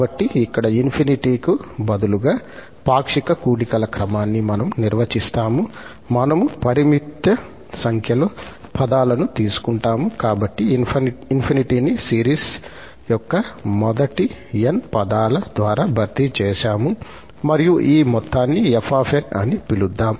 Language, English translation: Telugu, So, here, we define the sequence of the partial sums that means instead of infinity, we will take finite number of terms, so, we have just replaced that infinity by n to have these n terms of the series together with the first term and let us call this sum as fn